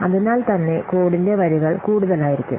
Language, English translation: Malayalam, So the lines of code may be different